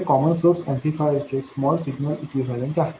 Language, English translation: Marathi, This is the small signal equivalent of the common source amplifier